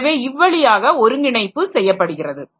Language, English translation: Tamil, So, that way the coordination has to be done